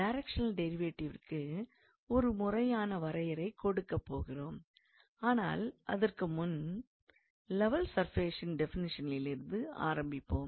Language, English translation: Tamil, So, we will give the formal definition of directional derivative, but before that we will start with the definition of level surfaces